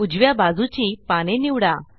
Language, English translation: Marathi, Select the leaves on the right